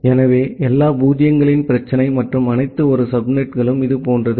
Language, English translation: Tamil, So, the problem of all zero’s and all one subnets are something like this